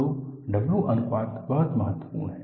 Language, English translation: Hindi, So, a by W ratio is very important